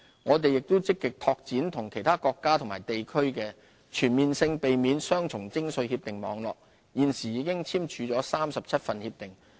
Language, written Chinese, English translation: Cantonese, 我們亦積極拓展與其他國家及地區的全面性避免雙重徵稅協定網絡，現時已簽署37份協定。, We are also actively seeking to expand our network of Comprehensive Avoidance of Double Taxation Agreements CDTAs with other jurisdictions and 37 CDTAs have been signed so far